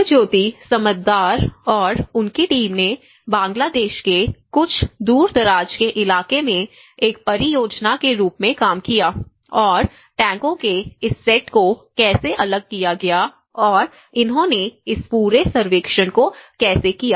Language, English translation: Hindi, So, Subhajyoti Samaddar and his team worked as a project in some remote area of Bangladesh and how this set up of tanks have been diffused and how they did this whole survey